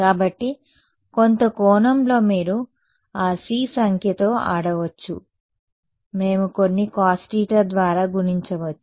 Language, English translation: Telugu, So, in some sense you can play around with that number c right we can multiply by some cos theta whatever